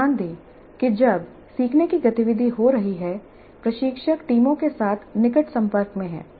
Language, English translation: Hindi, Note that while the learning activity is happening, the instructor is in close touch with the teams